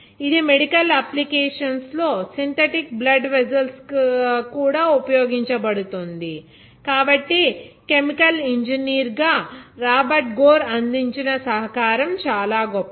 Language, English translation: Telugu, But it also has found medical application as synthetic blood vessels, so in this Robert Gore’s contribution as a chemical engineer is remarkable